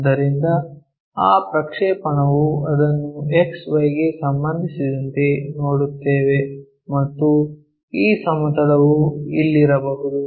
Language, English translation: Kannada, So, that projection what we will see it with respect to XY and this plane can be here it can be there also